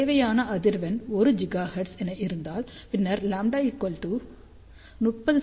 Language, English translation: Tamil, So, let us say if the desired frequency is 1 gigahertz then lambda will be 30 centimeter